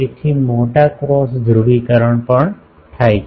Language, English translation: Gujarati, So, sizable cross polarisation also takes place